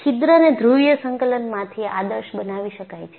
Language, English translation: Gujarati, So, the hole can be modeled from a polar coordinate